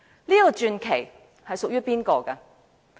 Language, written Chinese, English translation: Cantonese, 這個傳奇屬於誰人？, To whom does this legend belong?